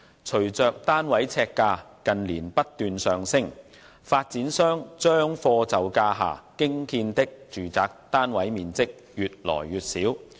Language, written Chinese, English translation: Cantonese, 隨着單位呎價近年不斷上升，發展商將貨就價下興建的住宅單位面積越來越小。, As the price per square foot of flats has been rising incessantly in recent years the size of the residential flats built by developers according to the price affordable to buyers has become smaller and smaller